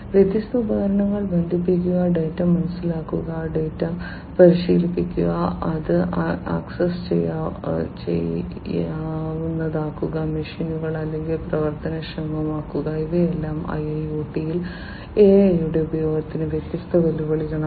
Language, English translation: Malayalam, Connecting different devices, understanding the data, training the data, making it accessible, making the machines or whatever actionable these are all different challenges of use of AI in IIoT